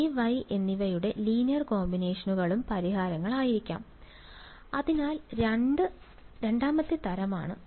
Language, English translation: Malayalam, They will also be solutions right linear combinations of J and Y will also be solutions, so that is the second type